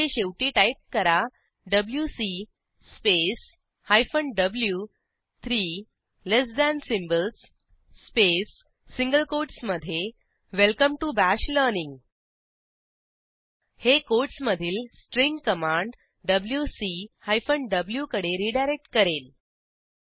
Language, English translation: Marathi, I will open the same file here dot sh Here at the end, I will type: wc space hyphen w three less than symbols space within single quotes Welcome to Bash learning This will redirect the string within quotes to the command wc hyphen w